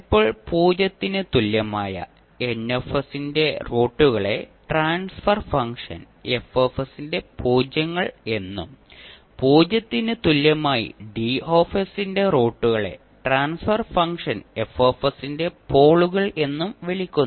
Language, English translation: Malayalam, Now, roots of Ns equal to 0 are called the ‘zeroes of transfer function F s’ and roots of Ds equal to 0 polynomial are called the ‘poles of function, transfer function F s’